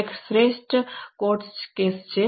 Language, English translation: Gujarati, One of the best example are court cases